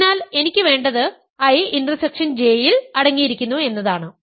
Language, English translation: Malayalam, So, what I want is a is contained in I intersection J